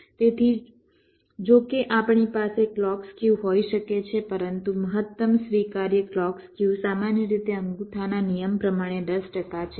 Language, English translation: Gujarati, so so, although we can have some clock skew, but maximum allowable clock skew is typically, as a rule of thumb, ten percent